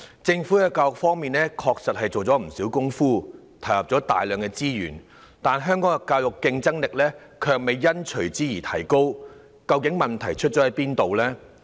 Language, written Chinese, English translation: Cantonese, 政府在教育方面，確實下了不少工夫，投入了大量資源，但香港教育的競爭力卻未有隨之提高，究竟問題出在哪裏呢？, The Government has indeed made much effort and devoted considerable resources in education yet Hong Kongs education has not gained much competitive edge from that . What exactly is the problem?